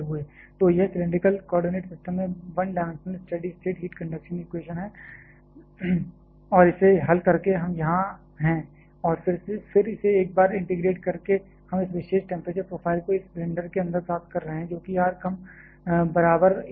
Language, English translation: Hindi, So, this is the one dimensional steady state heat conduction equation in cylindrical coordinate system and by solving this by we are here and then integrating it once more we are getting this particular temperature profile inside this cylinder that is for r less equal to a